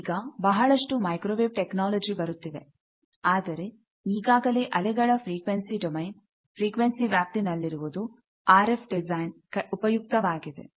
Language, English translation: Kannada, There are lot of microwave technology coming up, but whatever is existing in wave frequency domain is useful thing for RF design